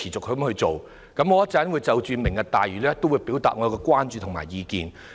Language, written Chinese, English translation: Cantonese, 我稍後會就"明日大嶼"計劃表達我們的關注和意見。, Later I will express our concerns and opinions on the Lantau Tomorrow plan